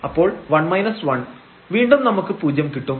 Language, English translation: Malayalam, So, this will be 0 and this is again here 0